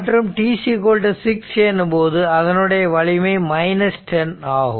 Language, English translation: Tamil, So, at t is equal to 3 it is strength is 10